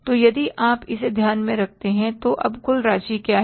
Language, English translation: Hindi, So if you take this into account, so what is the total amount now